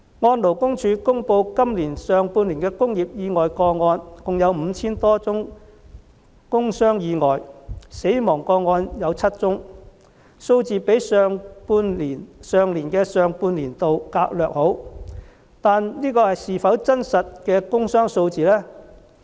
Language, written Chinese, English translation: Cantonese, 按勞工處公布的今年上半年工業意外個案，共有 5,000 多宗工傷意外和7宗死亡個案，數字較去年上半年略好，但這是否真實的工傷數字呢？, According to the data on industrial accidents released by the Labour Department in the first half of this year there were over 5 000 industrial injury cases and seven fatal industrial injury cases . The figures were slightly lower than those in the first half of last year but are they the real figures of industrial injuries?